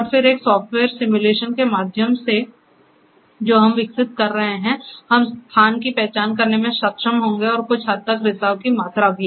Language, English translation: Hindi, And then, through a software simulation we are which we are developing, we will at be able to identify the location and some extent the quantitative volume of the leakage